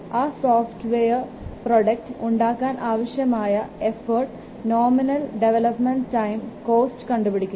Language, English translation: Malayalam, Determine the effort required to develop the software product, the nominal development time and the cost to develop the product